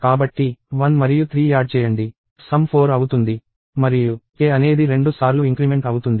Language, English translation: Telugu, So, we add 1 and 3; sum becomes 4 and k is incremented by 2